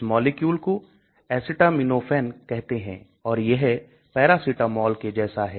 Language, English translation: Hindi, This molecule is called acetaminophen it is like a paracetamol